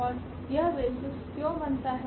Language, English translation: Hindi, And why this form a basis